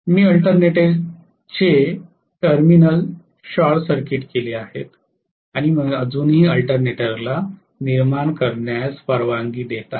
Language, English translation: Marathi, I have short circuited the terminals of the alternator and I am still allowing the alternator to generate